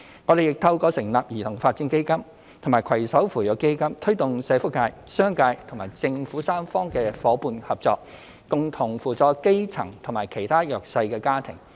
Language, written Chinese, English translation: Cantonese, 我們亦透過成立兒童發展基金和攜手扶弱基金，推動社福界、商界和政府三方的夥伴合作，共同扶助基層及其他弱勢家庭。, We have also set up the Child Development Fund and Partnership Fund for the Disadvantaged to promote tripartite partnership among the welfare sector the business community and the Government in helping the grass - roots households and other disadvantaged families